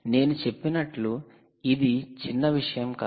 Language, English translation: Telugu, as i said, its not going to be trivial